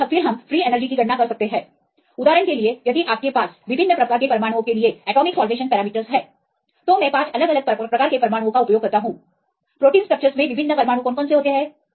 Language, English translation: Hindi, And then we can calculate free energy right, for example, if you have the atomic salvation parameters for the different types of atoms, here I use 5 different types of atoms right what are the different atoms in protein structures